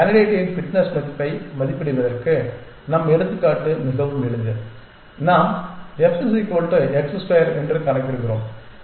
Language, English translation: Tamil, Simply to evaluate the fitness value of a candidate our example is very simple we just compute f is equal to x square